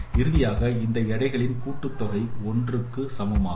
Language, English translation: Tamil, Finally sum of all these weights is equal to one